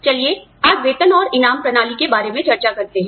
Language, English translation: Hindi, Let us discuss, pay and reward systems, today